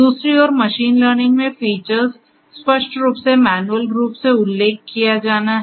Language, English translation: Hindi, On the other hand, in machine learning features are to be explicitly manually mentioned